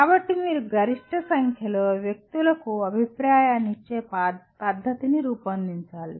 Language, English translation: Telugu, So you have to work out a method of giving feedback to the maximum number of people